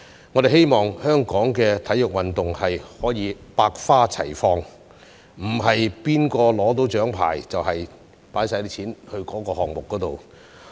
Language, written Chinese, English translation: Cantonese, 我們希望香港的體育運動可以百花齊放，而不是誰人獲得獎牌，便把全部撥款投放在該項目。, Hong Kong should be a place for different sports to thrive and it is not right to give all funding to only the medal - winning sports